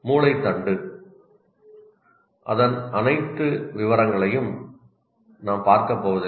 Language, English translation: Tamil, Now come the brain stem, we are not going to look into all the details